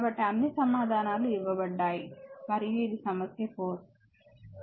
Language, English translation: Telugu, So, all answers are given and problem 4